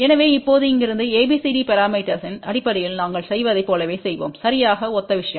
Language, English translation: Tamil, So, now, from here just as we did in terms of ABCD parameter will just exactly the similar thing